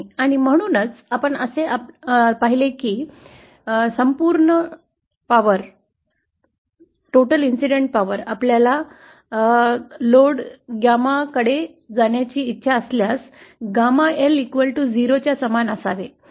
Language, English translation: Marathi, And so, we see that for total power transmission that if we want the entire incident power to go to the load gamma L should be equal to 0